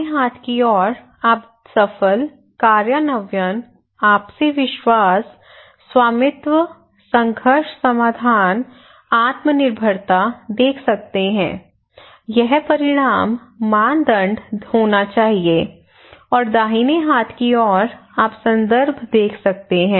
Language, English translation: Hindi, And the left hand side you can see successful implementation, mutual trust, ownership, conflict resolution, self reliance this should be the outcome criterion and right hand side you can see the references we give